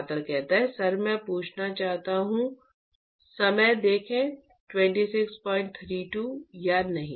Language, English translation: Hindi, sir I want to ask or not